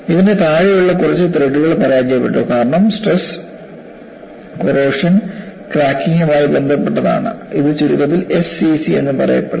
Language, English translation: Malayalam, And this has failed a few threads below, and the cause is related to stress corrosion cracking, abbreviated as SCC